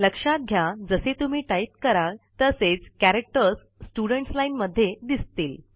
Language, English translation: Marathi, As we type, the characters are displayed in the Students Line